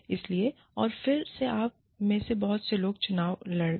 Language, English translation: Hindi, So, and again, many of you, might contest that